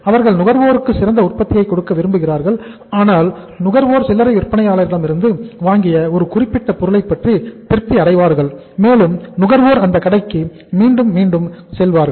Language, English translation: Tamil, They want to give the best product to the consumer so that consumer is satisfied with the product which he has purchased from a particular retailer and consumer keep on visiting him time and again